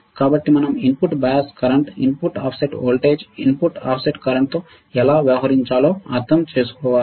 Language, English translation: Telugu, So, we have to understand how we can deal with input bias current, input offset voltage, input offset current right